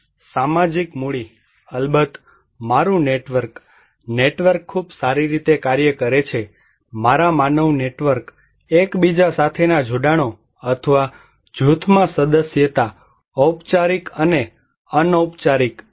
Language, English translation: Gujarati, And social capital, of course my network, network works very well, my human networks, connections with each other or membership in a group, formal and informal